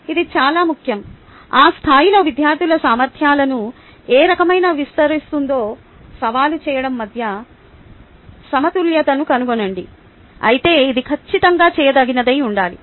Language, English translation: Telugu, it is very important find balance between challenging which kind of extends the abilities of students at that level, but it should be definitely doable